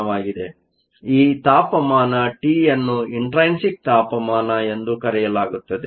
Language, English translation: Kannada, So, This temperature t is called your intrinsic temperature